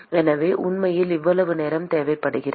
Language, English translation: Tamil, So, it really requires that much time